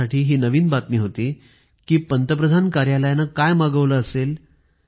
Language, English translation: Marathi, It was news to me also, I wondered what the PMO would have ordered